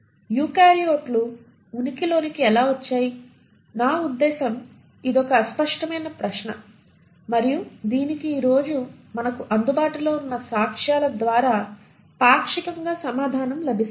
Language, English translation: Telugu, So how is it that the eukaryotes came into existence, I mean this has been a puzzling question and it is partially answered by the available evidences that we have today